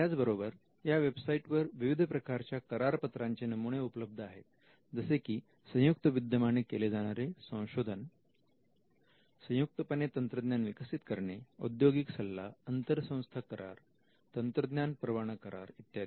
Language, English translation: Marathi, They also have templates of agreements; for instance, various agreements like a joint venture or a joint collaborative research, joint development of technology, industrial consultancy, inter institutional agreement technology licensing agreement